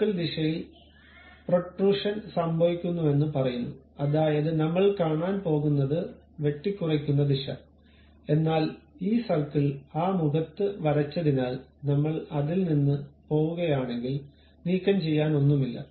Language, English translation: Malayalam, It says that in the circle direction there is something like protrusion happen, that is, the direction of cut what we are going to really look at, but because this circle is drawn on that face if I am going away from that there is nothing to remove